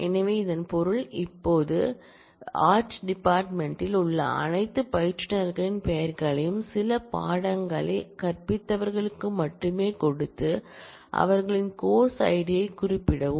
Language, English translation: Tamil, So, which means this will now, give the names of all instructors in the art department only who have taught some course and specify their course id